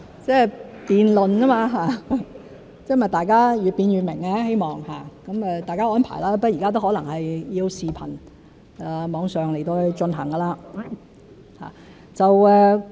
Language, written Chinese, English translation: Cantonese, 辯論而已，希望大家越辯越明，有待大家安排，不過現在可能大家要以視頻在網上進行。, It is just a debate and it is hoped that the more a question is debated the clearer it becomes . I hope that arrangements will be made accordingly but perhaps it has to be conducted online by videoconferencing